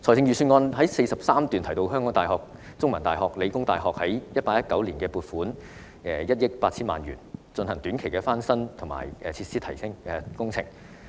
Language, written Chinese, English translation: Cantonese, 預算案第43段提到香港大學、香港中文大學及香港理工大學於 2018-2019 年度已獲撥款約1億 8,000 萬元，進行短期的翻新及設施提升工程。, It is mentioned in paragraph 43 of the Budget that around 180 million has been allocated to the University of Hong Kong The Chinese University of Hong Kong and The Hong Kong Polytechnic University in 2018 - 2019 for carrying out short - term renovation works and enhancing facilities